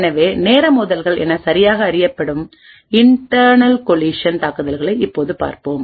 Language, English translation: Tamil, So, we will now look at internal collision attacks these are properly known as time driven attacks